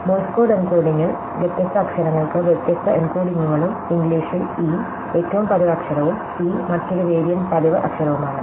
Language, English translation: Malayalam, So, in the Morse code encoding, different letters do have different encodings and in English e is the most frequent letter and t is another very frequent letter